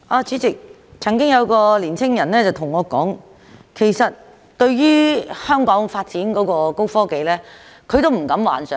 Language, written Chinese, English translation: Cantonese, 主席，曾經有位青年人告訴我，對於香港發展高科技，他其實是不敢有任何幻想的。, President a young man once told me that he did not have any illusions about the development of high technology in Hong Kong